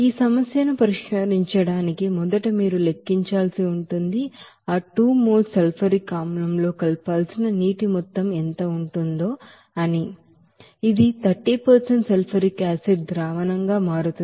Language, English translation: Telugu, Now, to solve this problem, first of all you have to calculate, you know what will be the amount of actually water to be mixed with that 2 mole of sulfuric acid to become it as a diluted 30% sulfuric acid solution